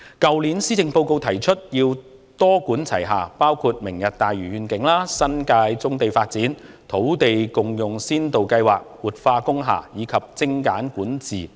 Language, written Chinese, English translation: Cantonese, 去年的施政報告提出要多管齊下，包括"明日大嶼願景"、發展新界棕地、土地共享先導計劃、活化工廈，以及精簡管治等。, The Policy Address last year proposed a multi - pronged approach comprising measures such as the Lantau Tomorrow Vision the development of brownfield sites in the New Territories the Land Sharing Pilot Scheme the revitalisation of industrial buildings streamlining control and so on